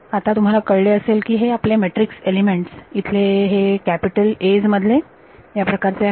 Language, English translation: Marathi, So, you notice that your matrix elements over here these capital A’s are consisting of these kinds of terms right